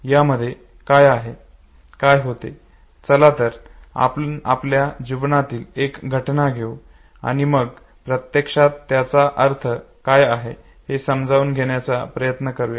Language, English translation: Marathi, What happens in this case, let us take one of our life events and then try to understand what actually this means